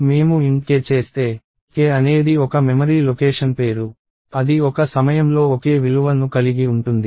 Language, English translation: Telugu, So, if I do int k, k is the name of a memory location that can hold a single value at a time